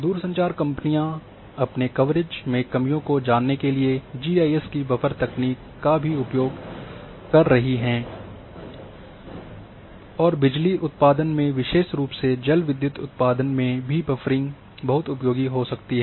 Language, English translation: Hindi, So, telecommunication companies are also employing buffer techniques of GIS to find out the gaps in their coverage and in power generation especially in hydropower also the buffering can be very useful